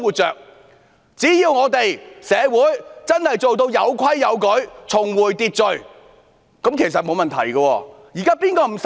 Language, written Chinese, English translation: Cantonese, 只要社會真的做到有規有矩，重回秩序，其實是沒有問題的。, Things will actually turn out fine as long as our society resumes normal with order restored